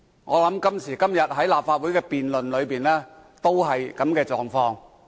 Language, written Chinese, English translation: Cantonese, 我想今時今日立法會的辯論，也是這樣的狀況。, I believe this is the case for the Council debates nowadays